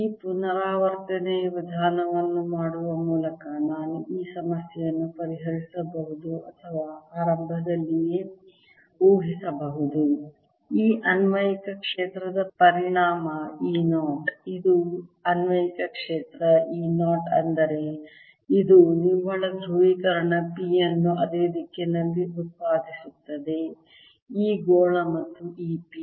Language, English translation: Kannada, i could go on solving this problem by doing this iterative method or assume right in the beginning that an effect of this applied field e zero this is the applied field e zero is that it produces a net polarization p in the same direction in this sphere and this p